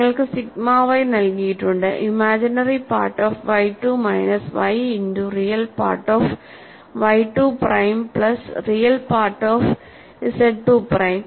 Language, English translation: Malayalam, And you have sigma y is given as, imaginary part of y 2 minus y multiplied by real part of y 2 prime plus real part of z 2 prime